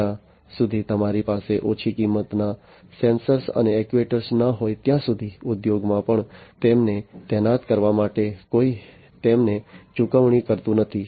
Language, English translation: Gujarati, And because, lower until and unless you have low cost sensors and actuators even in the industries nobody is going to pay for them to deploy them